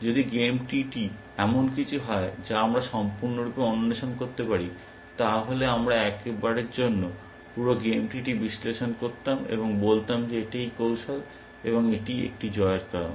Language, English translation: Bengali, If the game tree was something that we can explore completely, we would have analyze the whole game tree once for all, and said this is the strategy, and it is a winning strategy